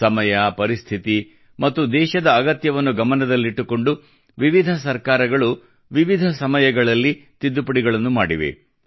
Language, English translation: Kannada, In consonance with the times, circumstances and requirements of the country, various Governments carried out Amendments at different times